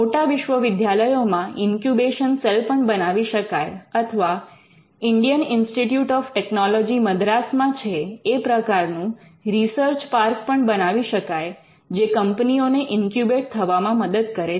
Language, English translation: Gujarati, You in bigger universities, they could also be incubation cell and they could also be research park like the Indian Institute of Technology, Madras has a research park which helps companies to set up an incubate as well